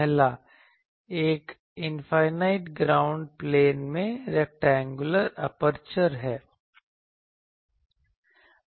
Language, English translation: Hindi, The first one is the rectangular aperture in an infinite ground plane